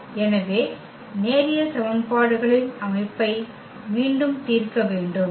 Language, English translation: Tamil, So, we need to solve again the system of linear equations